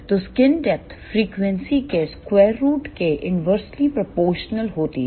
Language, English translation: Hindi, So, skin depth is inversely proportional to square root of frequency